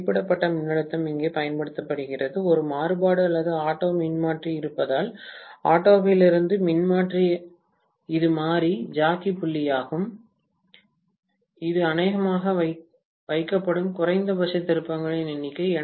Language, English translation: Tamil, Rated voltage is applied here, from there there is a variac or auto transformer, from the auto transformer this is the variable jockey point which is going to probably be put at very very minimum number of turns